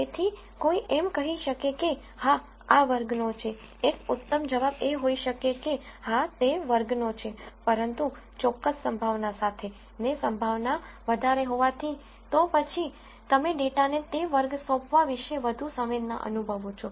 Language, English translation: Gujarati, So, one could say yes this belongs to class, a better nuanced answer could be that yes it belongs to class, but with a certain probability as the probability is higher, then you feel more con dent about assigning that class to the data